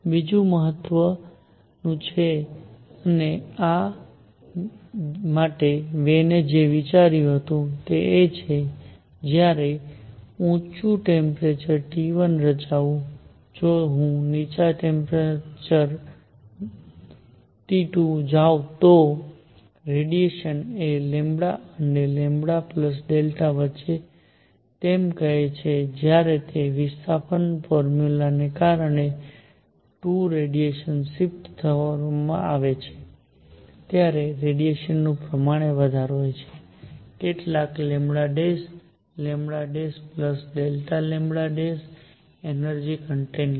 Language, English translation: Gujarati, The second one is more important and for this what Wien considered is that when form a high temperature T 1, if I go to a lower temperature T 2, radiation which was contained between say lambda and lambda plus delta lambda when 2 radiation is shifted because of that displacement formula, some lambda prime; lambda prime plus delta lambda prime the energy content